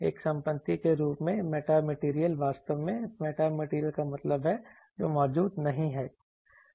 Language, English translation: Hindi, Metamaterial as a property actually metamaterial means which does not exist